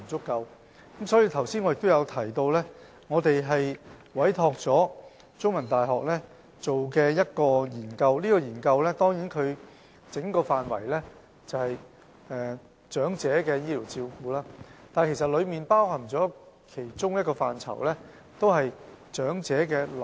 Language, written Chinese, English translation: Cantonese, 因此，我剛才亦提到我們已委託香港中文大學進行一項研究，研究範圍是關乎長者的醫療照顧，而其中包括長者臨終照顧這個範疇。, Hence I have mentioned earlier that the Bureau has commissioned CUHK to conduct a research study on the scope of health care services for the elderly which covers end - of - life care for the elderly